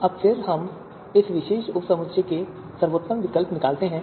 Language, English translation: Hindi, Now again we extract the best alternative from this particular you know subset